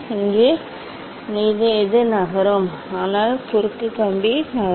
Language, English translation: Tamil, here whatever will move, so that cross wire will move